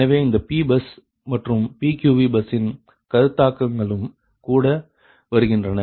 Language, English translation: Tamil, so this concept of p bus and pqv bus are also coming